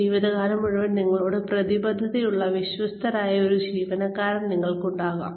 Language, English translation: Malayalam, You will have an employee, who will be committed, and loyal to you, for life